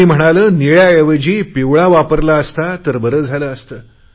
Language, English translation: Marathi, Someone said, 'yellow here would have been better in place of blue